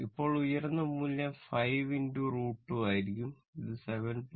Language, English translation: Malayalam, Now, it is peak value will be 5 into root 2 that is 7